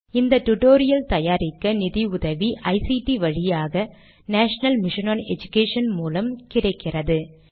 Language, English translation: Tamil, Funding to create this tutorial has come from the National Mission on Education through ICT